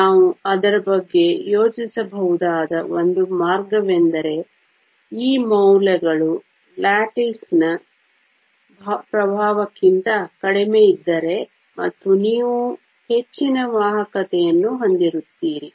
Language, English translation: Kannada, One way we can think about it is that if these values are lower than the influence of the lattice is less and so you have higher conductivity